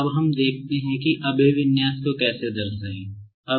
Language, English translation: Hindi, Now, let us see, how to represent the orientation